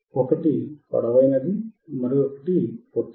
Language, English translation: Telugu, One is longer one, one is a shorter one